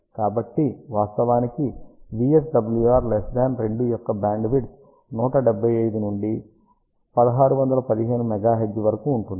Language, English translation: Telugu, So, one can actually see that bandwidth for VSWR less than 2 is from 175 to 1615 megahertz